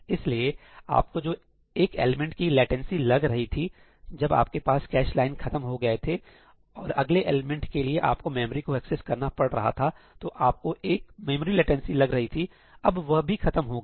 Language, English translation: Hindi, So, even that one element latency that you used to incur , when you used to run out of the cache line and the next element, you would have to make a memory access, you would incur a memory latency, even that is gone